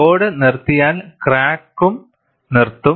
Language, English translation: Malayalam, If the load is stopped, crack also will stop